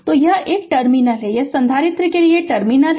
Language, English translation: Hindi, So, this is a this is the terminal, this is the terminal for the capacitor right